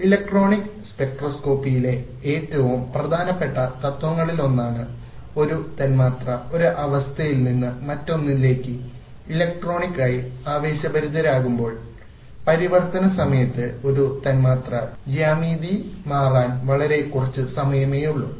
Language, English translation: Malayalam, One of the most important principles in electronic spectroscopy is that when a molecule is electronically excited from one state to the other, there is very little time for the molecular geometry to change during the transition